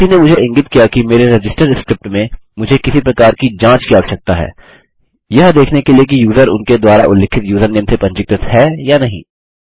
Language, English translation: Hindi, Some one has pointed out to me that in my register script, I need some kind of check to note if the user has been registered or not by the username that they specify